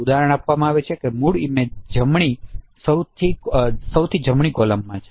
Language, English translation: Gujarati, The original image is shown in the rightmost column